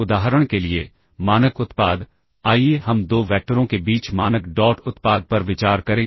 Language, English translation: Hindi, for instance the standard product, let us consider the standard dot product between 2 vectors alright